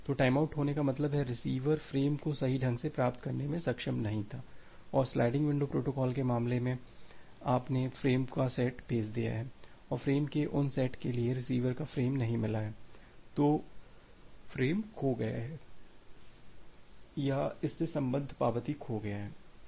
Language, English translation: Hindi, So, timeout occur means, the receiver was not able to receive the frame correctly and in case of a sliding window protocol you have send the set of frames and for those set of frames the receiver has not received the frames, either the frame has been lost or the corresponding acknowledgement has been lost